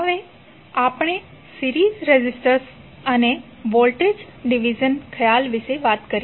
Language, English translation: Gujarati, Now, let us talk about the series resistors and the voltage division concepts